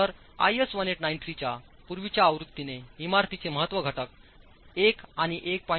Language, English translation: Marathi, So, the earlier version of IAS 1893 categorized buildings into two importance factor 1 and 1